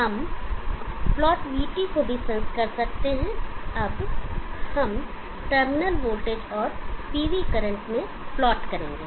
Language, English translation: Hindi, We could also sense plot VT, we will now plot terminal voltage into PV current VIPV